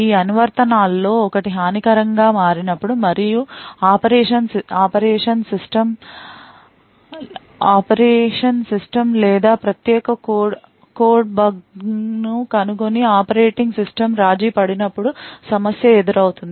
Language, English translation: Telugu, Now problem occurs when one of these applications becomes malicious and finds a bug in the operation system or the privileged code and has compromised the operating system